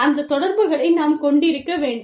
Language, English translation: Tamil, We need to have, those relationships